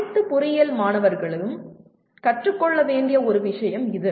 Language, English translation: Tamil, This is one thing that all engineering students should learn